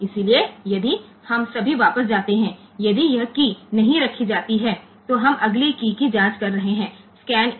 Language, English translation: Hindi, So, if we just go back, if this is key this key is not placed, then we are checking the next key the scan 1